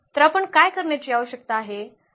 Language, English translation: Marathi, So, what do we need to do